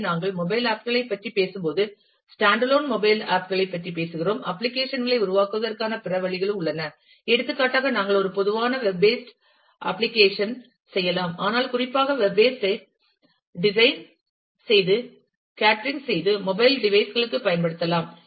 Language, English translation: Tamil, So, when we talking about mobile apps, we have talking about stand alone mobile apps, there are other ways of developing applications also for example, we can do a typical web based application, but we can use a website which is specifically designed catering to the mobile devices